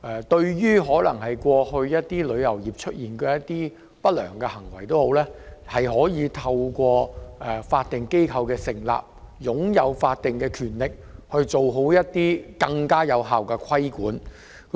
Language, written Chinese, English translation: Cantonese, 對旅遊業過去出現的不良行為，旅監局作為法定機構，可透過其法定權力，進行更有效的規管。, In view of the previous malpractices in the travel industry TIA may as a statutory body exercise more effective regulation under its statutory power